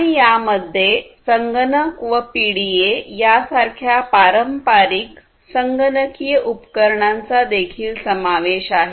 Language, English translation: Marathi, And this also includes the traditional computational devices such as computers, PDAs, laptops and so on